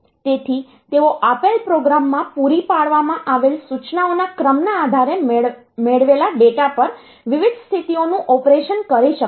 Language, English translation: Gujarati, So, they can perform different states of operations on the data it receives depending on the sequence of instructions supplied in the given program